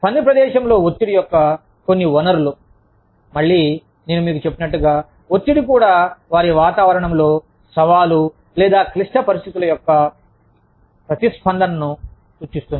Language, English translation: Telugu, Some sources of workplace stress, are again, like i told you, stress also refers to, the individual's response, to challenging or difficult situations, in their environment